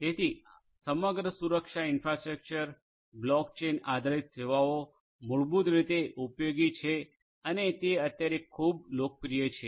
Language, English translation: Gujarati, So, overall security of the infrastructure block chain based services, basically are useful and are quite popular at present